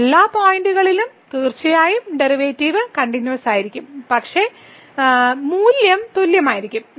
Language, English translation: Malayalam, At all other points certainly the derivatives will be continuous and the value will be equal